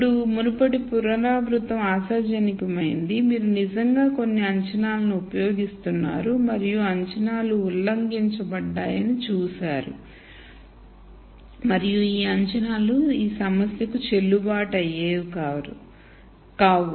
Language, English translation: Telugu, Now, hopefully the previous iteration where you actually use some assump tions and saw that the assumptions were violated and that it was not likely that those assumptions are the one that are valid for this problem